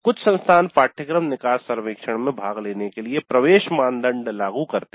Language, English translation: Hindi, So some institutes do impose an entry criteria for participating in the course exit survey